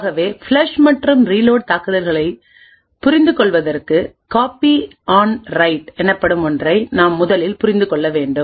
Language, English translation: Tamil, So to understand the flush and reload attacks we would 1st need to understand something known as Copy on Write